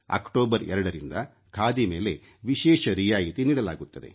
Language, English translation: Kannada, Discount is offered on Khadi from 2nd October and people get quite a good rebate